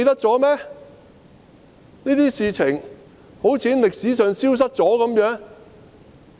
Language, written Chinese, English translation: Cantonese, 這些事情好像從歷史上消失一樣。, All of these seem to have disappeared in history